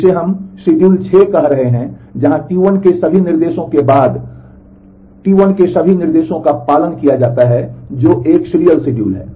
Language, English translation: Hindi, Where all instructions of T 1 is followed by all instructions of T 2 which is a serial schedule